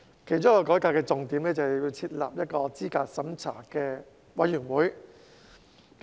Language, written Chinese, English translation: Cantonese, 其中一個改革重點是設立候選人資格審查委員會。, A highlight of the reform is the setting up of the Candidate Eligibility Review Committee CERC